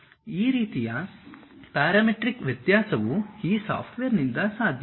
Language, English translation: Kannada, That kind of parametric variation is possible by this software